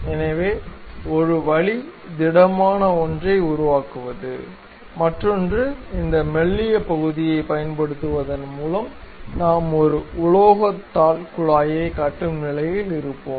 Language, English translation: Tamil, So, one way is constructing a solid one; other one is by using this thin portion, we will be in a position to construct a metal sheet tube